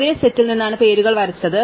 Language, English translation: Malayalam, The names are drawn from the same set